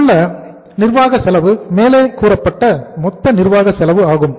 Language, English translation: Tamil, The administrative cost here is uh total administrative cost paid as above